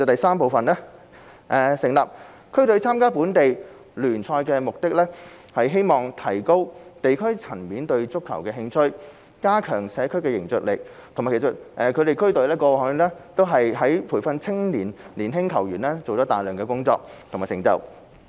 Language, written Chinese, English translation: Cantonese, 三成立區隊參加本地聯賽的目的，是希望提高地區層面對足球的興趣及加強社區的凝聚力，其實區隊過去在培訓青年球員方面做了大量工作，也有很大成就。, 3 District teams are established to compete in local leagues with the aim of enhancing enthusiasm for football at the districts and strengthening cohesion of the community . District football teams have indeed made contributions to the development of youth training and the nurturing of young football players